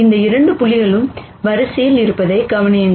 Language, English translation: Tamil, Notice that both these points are on the line